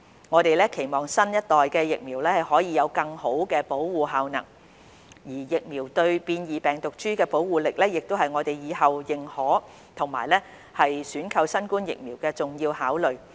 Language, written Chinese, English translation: Cantonese, 我們期望新一代疫苗可以有更好的保護效能，而疫苗對變異病毒株的保護力，亦會是我們以後認可及選購新冠疫苗的重要考慮。, We hope that the next generation vaccines can have better efficacy in terms of protection . The protection power of the vaccines against mutant virus strains is also an important factor for us when considering to authorize and procure COVID - 19 vaccines in the future